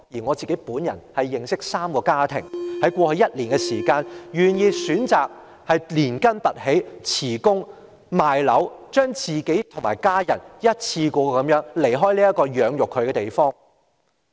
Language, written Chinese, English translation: Cantonese, 我自己也認識3個家庭，在過去一年，選擇連根拔起，辭職、賣樓，與家人一次過離開這個養育他們的地方。, I know three families which decided to leave in the past year . They chose to uproot their homes resign from their work sell their properties and then leave this place where they were brought up for good with their families